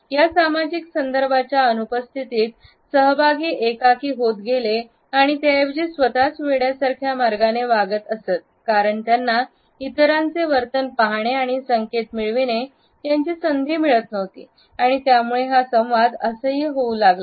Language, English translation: Marathi, In the absence of this social context, participants are de individualized and they tend to behave in ways which are rather self obsessed because they do not have the opportunity to look at the behaviour of others and receiving the cues and at the same time it can be aberrant